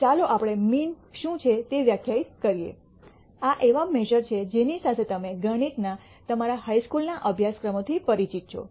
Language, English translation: Gujarati, And let us define what is called the mean, these are measures that you are familiar with from your high school courses in mathematics